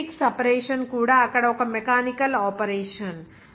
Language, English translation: Telugu, Magnetic separation is also one mechanical operation there